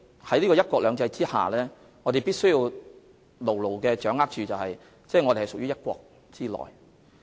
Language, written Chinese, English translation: Cantonese, 在"一國兩制"下，我們必須牢牢掌握和緊記，香港屬於"一國"之內。, Under one country two systems we must firmly grasp and bear in mind that Hong Kong is part of one country as prescribed in the Countrys Constitution